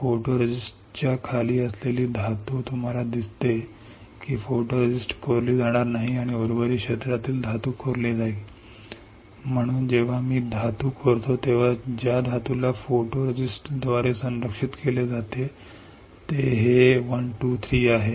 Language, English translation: Marathi, The metal below the photoresist, you see the photoresist will not get etched and the metal in the rest of the area will get etched So, when I etch the metal the metal which is protected by photoresist this is the one, 1 2 3;